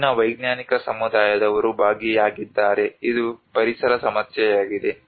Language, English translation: Kannada, Where the most of the scientific community are involved, it is an environmental problem